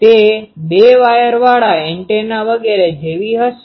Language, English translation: Gujarati, It will be like a two wire antenna, etc